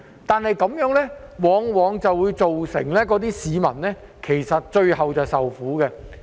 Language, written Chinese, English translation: Cantonese, 但如此一來，往往會造成市民最終要受苦。, Yet in this way people often have to suffer in the end